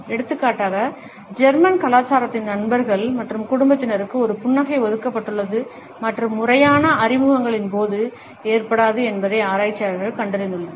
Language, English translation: Tamil, For example, researchers have found out that in German culture a smiling is reserved for friends and family and may not occur during formal introductions